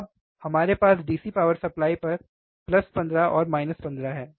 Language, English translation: Hindi, Now, we have here on this DC power supply, DC power supply, plus 15 minus 15 right